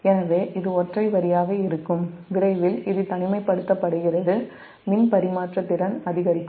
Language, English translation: Tamil, so as soon as it will be single line, it is isolated, this power transfer capability will increase